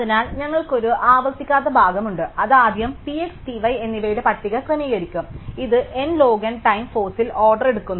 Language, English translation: Malayalam, So, we have a non recursive part which is to first compute the initial sort it list P x and P y, this takes order on n log n time force